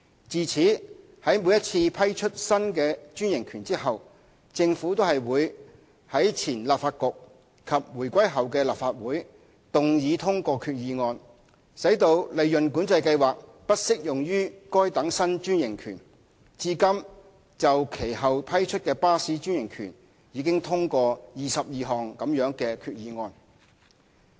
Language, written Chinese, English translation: Cantonese, 自此，在每次批出新的專營權後，政府均會在前立法局及回歸後的立法會動議通過決議案，使利潤管制計劃不適用於該等新專營權，至今就其後批出的巴士專營權已通過22項這類決議案。, Since then the Government would after granting each new franchise move a resolution in the then Legislative Council and the current Legislative Council upon our return to China to exclude the application of PCS to the franchise . A total of 22 such resolutions have been passed in respect of franchises granted since then